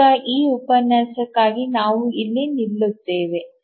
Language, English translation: Kannada, Now for this lecture we will stop here